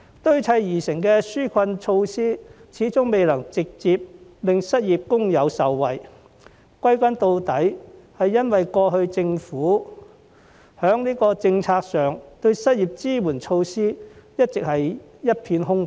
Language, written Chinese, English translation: Cantonese, 堆砌而成的紓困措施始終未能直接令失業工友受惠，歸根究底，是由於在過往的政府政策上，失業支援措施一直是一片空白。, The piecemeal relief measures have failed to directly benefit unemployed workers . After all it is because the government policies have all along been devoid of unemployment support measures in the past